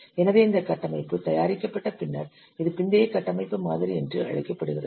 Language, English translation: Tamil, So since after this architecture is prepared, this is known as post architecture model